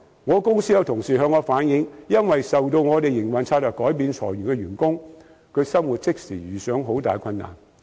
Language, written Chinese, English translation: Cantonese, 我公司的同事向我反映，因為我們營運策略改變而被裁走的員工在生活上即時遇上很大困難。, The staff of my company relayed to me that the employees who were laid off due to the changes in our operation strategy were immediately faced with great livelihood hardships